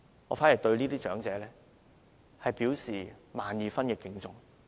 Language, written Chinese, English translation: Cantonese, 我對這些長者表示萬二分敬重。, I have the greatest respect for these elderly people